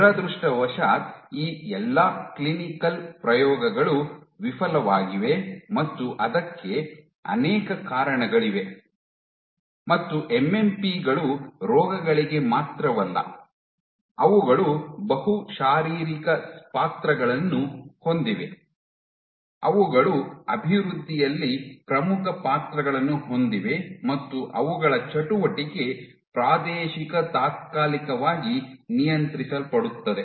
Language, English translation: Kannada, Unfortunately, all these clinical trials failed and of course, there are multiple reasons for it one of the most important reasons being MMPs are important not only for diseases, but they have multiple physiological roles also they have important roles in development and their activity is Spatio temporally regulated